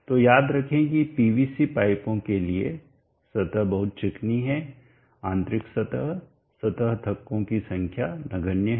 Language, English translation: Hindi, So recall that for PVC pipes the surface is very smooth, inner surface the surface bumps are negligible